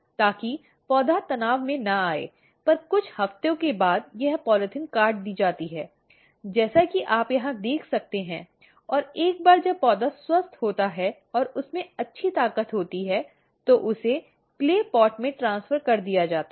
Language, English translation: Hindi, So, that the plant does not come under stress and after a few week this polythene is cut, as you can see over here and once the plant is healthy and has good strength then it is transferred into the clay pot